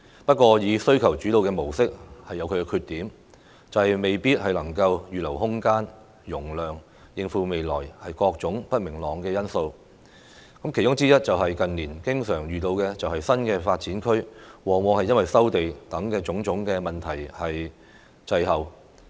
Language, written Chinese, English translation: Cantonese, 不過，需求主導的模式有其缺點，未必能夠預留空間和容量，面對未來各種不明朗的因素。因素之一，是近年經常遇到的新發展區發展，往往因收地等種種問題滯後。, However the demand - led model has the drawback that it may not be able to reserve space and capacity to cope with various future uncertainties among which are the recently often encountered delays to the development of NDAs due to various problems such as land resumption